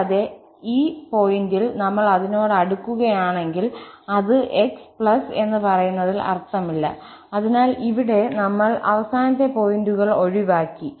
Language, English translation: Malayalam, And, if we close it at this point, it does not make sense of x plus, so here, we have avoided the boundary points